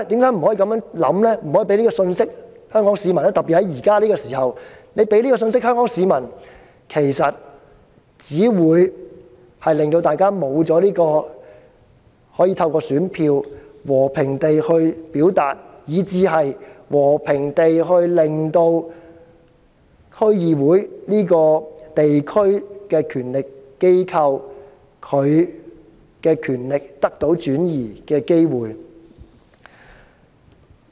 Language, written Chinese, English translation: Cantonese, 因為特別在目前這個時刻，如果政府帶給香港市民這種信息，其實只會令大家失去透過選票和平表達意見的機會，以及失去讓區議會這個地區權力機構和平轉移權力的機會。, At this moment if the Government relays this kind of message to the public people may not have the opportunity to peacefully express their views with the ballots and DCs the local authorities may not have the opportunity to transfer power peacefully